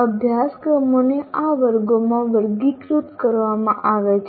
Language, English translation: Gujarati, First courses are classified into these categories